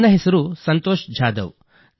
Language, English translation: Kannada, My name is Santosh Jadhav